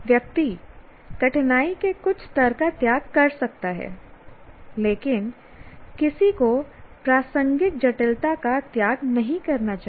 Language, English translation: Hindi, One can sacrifice some level of difficulty, but one should not sacrifice the relevant complexity